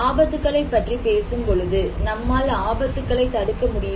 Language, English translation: Tamil, Now when we are talking about hazards, can we avoid hazard